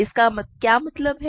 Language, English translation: Hindi, What this means